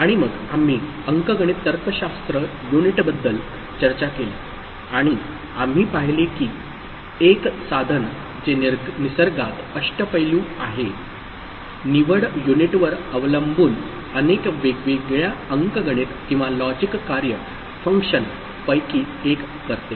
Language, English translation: Marathi, And then we discussed arithmetic logic unit, and we saw that one device which is versatile in nature depending on the selection unit it does perform one of the many different arithmetic or logic function